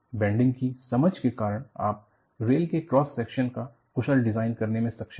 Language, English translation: Hindi, Because of the understanding of bending, you are able to do efficient design of cross section of the rails